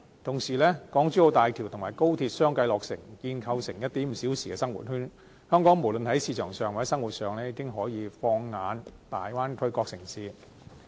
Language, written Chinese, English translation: Cantonese, 同時，港珠澳大橋和高鐵相繼落成，建構成 "1.5 小時生活圈"，香港無論在市場上或生活上，已經可以放眼大灣區各個城市。, Meanwhile the completion of the Express Rail Link XRL and the Hong Kong - Zhuhai - Macao Bridge will see the formation of a 1.5 - hour living circle . This means that Hong Kong people can turn to other Bay Area cities both as markets and as places of living